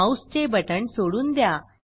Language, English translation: Marathi, Release the mouse button